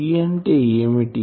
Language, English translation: Telugu, So, what is H